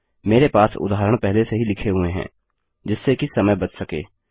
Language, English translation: Hindi, I have the examples written already so as to save time